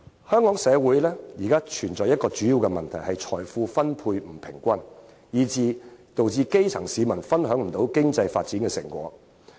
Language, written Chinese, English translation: Cantonese, 香港社會現時面對一大問題，就是財富分配不均，致使基層市民無法享受到經濟發展的成果。, Our society is now facing a major problem namely the grass roots cannot enjoy the fruit of economic development because of the uneven distribution of wealth